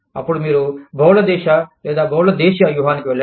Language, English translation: Telugu, Then, you move in to, multi country or multi domestic strategy